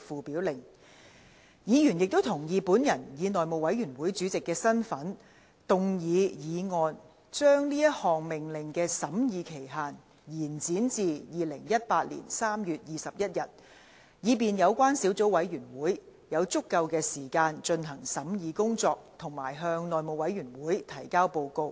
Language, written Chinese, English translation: Cantonese, 委員亦同意本人以內務委員會主席的身份，動議議案將該命令的審議期限，延展至2018年3月21日，以便小組委員會有足夠的時間進行審議工作及向內務委員會提交報告。, To allow the Subcommittee ample time for scrutiny and submitting a report to the House Committee members also agreed that I move a motion in my capacity as Chairman of the House Committee to extend the scrutiny period of the Order to 21 March 2018